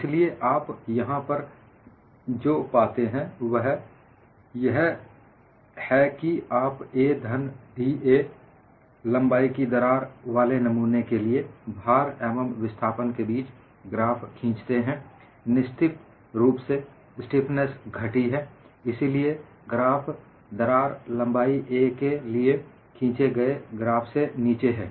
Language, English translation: Hindi, So, what you find here is, you draw the graph between load versus displacement for a specimen with crack of length a, for another specific length with a crack of length a plus da; obviously the stiffness as reduced; so the graph is below the graph drawn for crack length of a